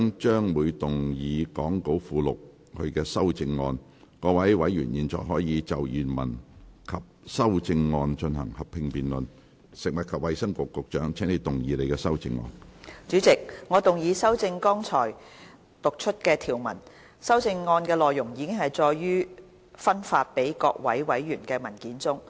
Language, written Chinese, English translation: Cantonese, 主席，我動議修正剛才讀出的條文。修正案的內容已載於發送給各位委員的文件中。, Chairman I move the amendments to the clauses read out just now as set out in the paper circularized to Members